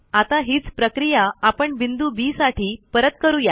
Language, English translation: Marathi, We repeat the process for the point B